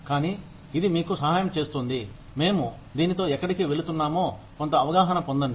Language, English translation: Telugu, But, it will help you, get some sense of, where we are going with this